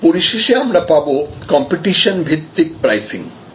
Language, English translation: Bengali, And lastly, this is the competition base pricing